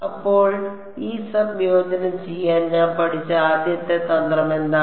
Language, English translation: Malayalam, So, what is the very first trick that I had to learnt to do this integration